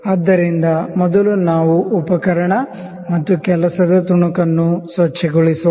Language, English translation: Kannada, So, let us first clean the instrument and the work piece